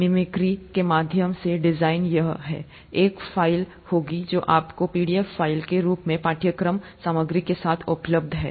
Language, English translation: Hindi, Design through mimicry is this, there will be a file that is available to you as a pdf file, along with the course material